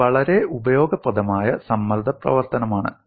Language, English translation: Malayalam, It is a very useful stress function